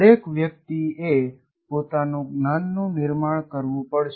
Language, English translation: Gujarati, You, each individual will have to construct his own knowledge